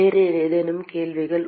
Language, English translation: Tamil, Any other questions